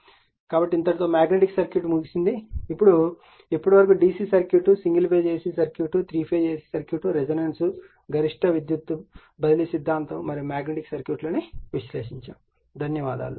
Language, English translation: Telugu, So, now, magnetic circuit is over, now my question is that when you will come up to this listening that the DC circuit, single phase AC circuit, 3 phase AC circuit, resonance, maximum power transfer theorem and magnetic circuit